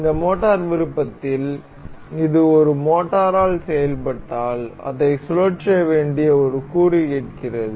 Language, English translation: Tamil, In this motor option, this asks for a component that has to be rotated if it were acted upon by a motor